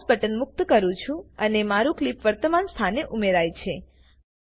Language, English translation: Gujarati, I will release the mouse button and my clip is added at the current position